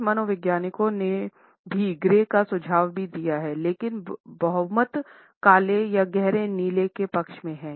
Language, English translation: Hindi, Some psychologists have suggested gray also, but the majority is in favor of black or navy blue